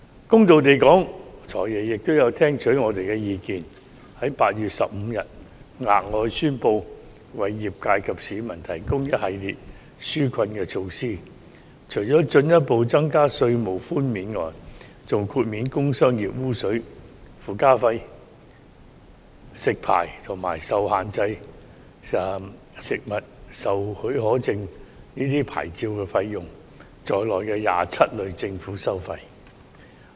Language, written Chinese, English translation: Cantonese, 公道地說，"財爺"也有聽取我們的意見，於8月15日宣布額外為業界及市民提供一系列紓困措施，除了進一步增加稅務寬免外，還豁免工商業污水附加費、食肆牌照，以及限制出售食物許可證等牌照費用在內的27類政府收費。, In all fairness the Financial Secretary did heed our opinions . Apart from further tax concessions the additional relief measures for the industry and the public announced on 15 August also included waiving 27 groups of government fees and charges such as the trade effluent surcharge licence fees for restaurants and fees for restricted food permits